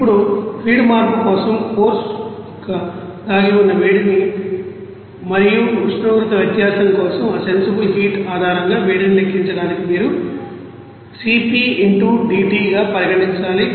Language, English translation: Telugu, Now for that for feed change of course you have to consider that latent heat and for temperature difference that heat to be calculated based on that sensible heat like this is C p into D t